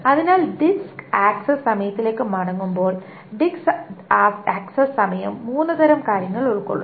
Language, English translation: Malayalam, So coming back to the disk access time, a disk access time consists of three kinds of things